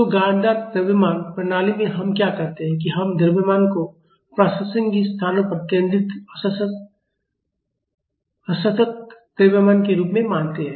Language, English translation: Hindi, So, in lumped mass system what we do is we assume mass as concentrated discrete masses at relevant locations